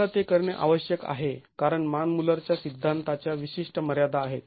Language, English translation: Marathi, We need to do that because there are specific limitations of the Manmuller theory